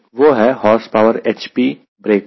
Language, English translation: Hindi, that was horsepower h p at the break